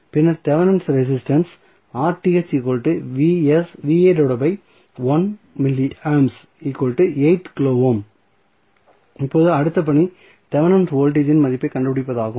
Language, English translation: Tamil, Now, the next task would be the finding out the value of Thevenin voltage